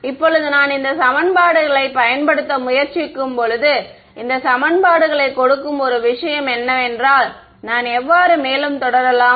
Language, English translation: Tamil, Now so, when I try to use these equations the what is the one thing to enforce given these equations how do I proceed further